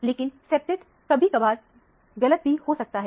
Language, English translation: Hindi, But, the septet can be sometime deceiving